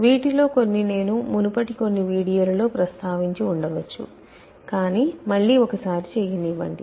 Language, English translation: Telugu, Some of this I may have referred to in some earlier videos, but let me do it any way again